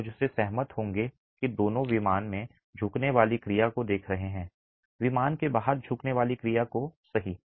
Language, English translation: Hindi, You will agree with me that both are looking at bending action in plane, bending action out of plane